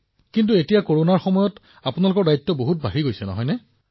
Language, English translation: Assamese, But during these Corona times, your responsibilities have increased a lot